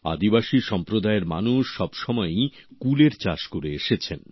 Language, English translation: Bengali, The members of the tribal community have always been cultivating Ber